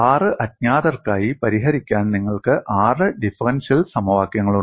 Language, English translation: Malayalam, You obviously have six differential equations to solve for six unknowns